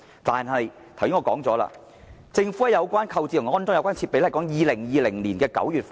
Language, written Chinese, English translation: Cantonese, 然而，購置和安裝有關設備的工作，要等到2020年9月才完成。, However the procurement and installation of the associated equipment will not be completed before September 2020